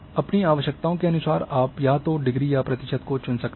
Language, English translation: Hindi, Depending on your requirements you can either choose degree or percentage